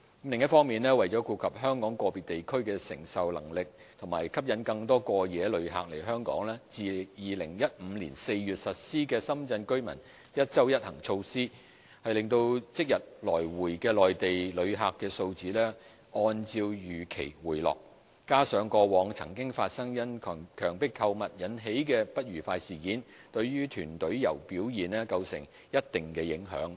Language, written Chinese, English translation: Cantonese, 另一方面，為顧及香港個別地區的承受能力和吸引更多過夜旅客來港，自2015年4月實施了深圳居民"一周一行"措施，令即日來回的內地旅客數字按照預期回落；加上過往曾發生因強迫購物引起的不愉快事件，對團隊遊表現構成一定的影響。, Meanwhile the one trip per week measure for Shenzhen residents implemented since April 2015 that took into account the receiving capacity of individual districts in Hong Kong and the development direction of attracting more overnight visitors have expectedly resulted in a drop in the number of same - day Mainland arrivals . The unfortunate incidents involving coerced shopping to Mainland group tours also caused some impact on visitor arrivals